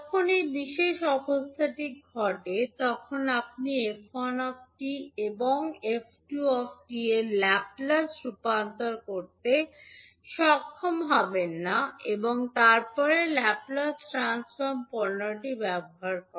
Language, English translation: Bengali, So when this particular condition happens you will not be able to get the Laplace transform of f1t and f2t and then getting the convolution of f1 and f2 using the Laplace transform product, would be difficult